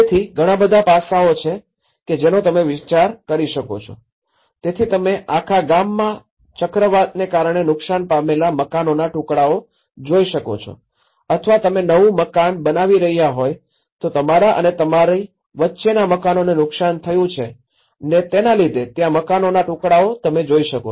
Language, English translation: Gujarati, So, these are all many aspects one can think of, so what you can see in the whole village is bits and pieces of the rubble, which has been damaged by the cyclone or damaged houses in between you are building a new houses, so there is no understanding of the old part but only they are looking at what we are constructing, you know